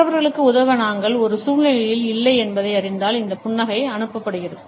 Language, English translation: Tamil, This smile is passed on when we know that we are not in a situation to help the other people